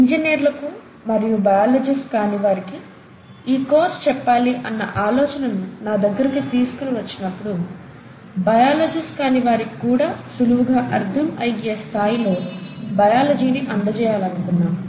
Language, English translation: Telugu, Now when this idea of taking this course for engineers and non biologists was brought up to me, the idea was to essentially bring in biology, teaching biology at a level which will be easily taken up by the non biologists